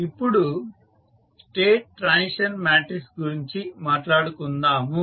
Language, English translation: Telugu, Now, let us talk about the State Transition Matrix